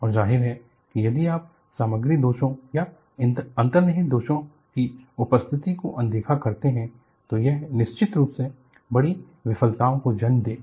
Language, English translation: Hindi, And obviously, if you ignore the presence of material defects or inherent flaws, it will definitely lead to spectacular failures